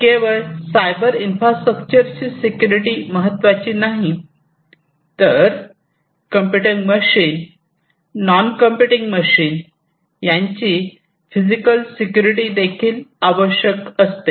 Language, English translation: Marathi, Not only the security of the cyber infrastructure, but also the physical security, the physical security of the machines, of the computing machines, the non computing machines, and so on